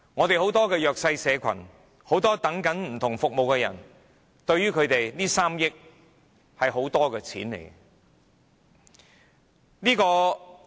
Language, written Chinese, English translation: Cantonese, 對很多弱勢社群和等候不同服務的人，這3億元是一大筆金錢。, To many disadvantaged social groups and people who are waiting for different services this 300 million is a large sum of money